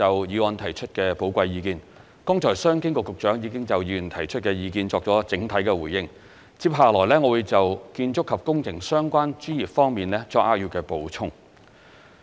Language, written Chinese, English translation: Cantonese, 剛才商務及經濟發展局局長已就議員提出的意見作出了整體的回應，接下來我會就建築及工程相關專業方面作扼要的補充。, The Secretary for Commerce and Economic Development has made an overall reply to Members opinions just now and I am going to give a supplementary reply to the opinions on the architectural and engineering professions